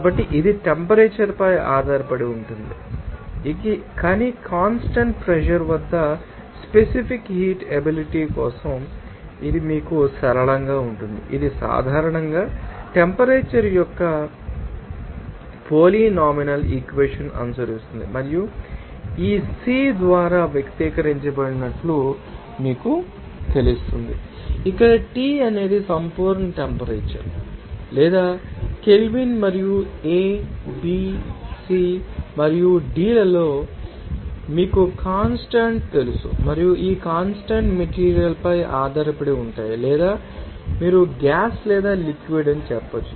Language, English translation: Telugu, Since, it is you know temperature dependent, but for the specific heat capacity at constant pressure it will be you know nonlinear it generally follows that polynomial equation of temperature and it is you know expressed as by this CP which is equal to Here, T is the absolute temperature, or you can see that in Kelvin and a, b, c and d are the, you know constants and this constants depends on the material or you can say that gas or liquid like that